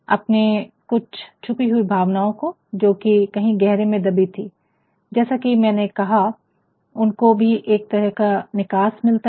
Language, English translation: Hindi, Some of the hidden emotions of yours which are buried within as I said, they also get a sort of opening